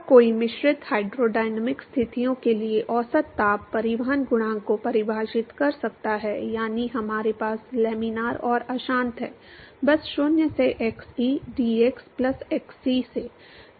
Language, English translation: Hindi, Then one could define average heat transport coefficient for mixed hydrodynamic conditions, that is we have laminar and turbulent, simply as 0 to xe dx plus x c to l